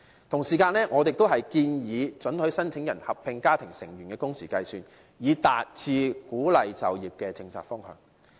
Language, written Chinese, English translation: Cantonese, 同時，我們亦建議准許申請人合併家庭成員的工時計算，以達致鼓勵就業的政策方向。, At the same time we also propose allowing the number of working hours of applicant be counted together with that of his family members with a view to reaching the policy direction of encouraging employment